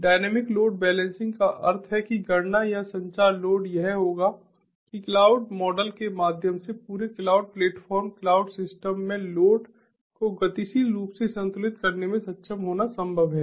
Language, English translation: Hindi, dynamic load balancing means that the computation or even communication load it would be it is possible, through the cloud model, to be able to dynamically balance the load throughout the entire cloud platform, cloud system